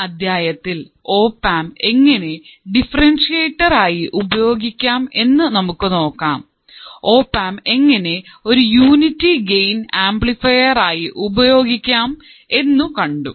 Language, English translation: Malayalam, Now, we will see how the opamp can be used as a differentiator of course, we have also used opamp as a unity gain amplifier